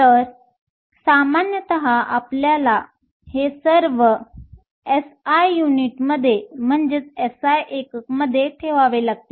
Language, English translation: Marathi, So, typically you have to keep all of this in SI units